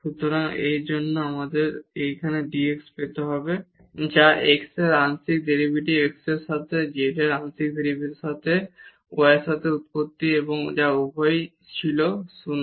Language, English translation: Bengali, So, for that we need to get this dz which is the partial derivative of z with respect to x partial derivative of z with respect to y at the origin which was and both of them was 0